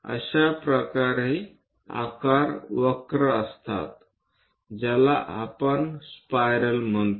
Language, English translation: Marathi, Such kind of shapes are curves what we call spirals